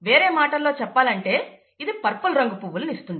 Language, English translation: Telugu, In other words, this would result in purple flowers